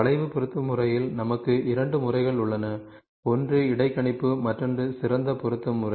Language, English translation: Tamil, So, in curve fitting method we have two methods: one is interpolation another one is the best fit method